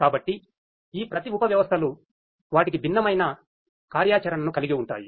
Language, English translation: Telugu, So, each of these subsystems they have their own different functionalities